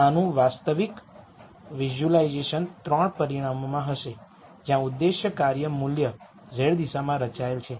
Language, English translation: Gujarati, So, real visualization of this would be in 3 dimensions where the objective function value is plotted in the z direction